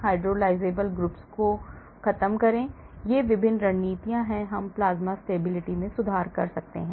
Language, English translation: Hindi, eliminate hydrolysable groups , these are the various strategies , we can do to improve plasma stability